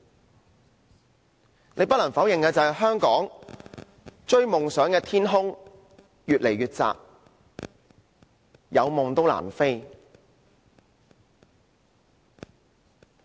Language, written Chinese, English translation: Cantonese, 大家不得否認香港讓人追求夢想的天空越來越窄，有夢亦難飛。, We cannot deny that the realm for chasing dreams is getting smaller and smaller in Hong Kong and one can hardly take off despite their dreams